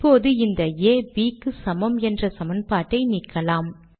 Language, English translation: Tamil, Let us now delete the A equals B equation